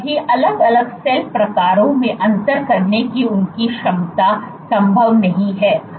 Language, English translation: Hindi, Their ability to differentiate into all different cell types is not possible